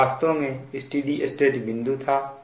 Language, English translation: Hindi, this is the steady state operating point